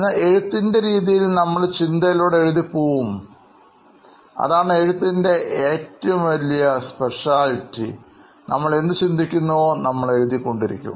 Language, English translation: Malayalam, But whereas, in writing you just go with the thought process, we just keep writing what we are thinking in our head